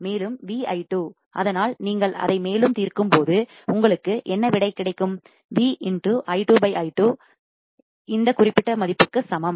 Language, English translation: Tamil, Also V i 2, so when you further solve it what do you get, V i 2 by i 2 equals to this particular value